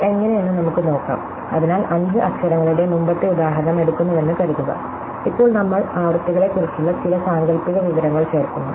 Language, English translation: Malayalam, So, let us work out how this, so suppose we take our earlier example of 5 letters, now we insert some fictitious information about frequencies